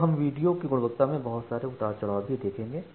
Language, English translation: Hindi, So, it will see lots of up and downs in a video quality